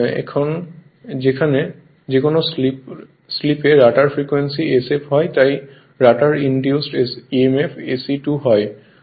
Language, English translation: Bengali, Now at any slip s the rotor frequency being sf right any therefore, the rotor induced emf changes to se 2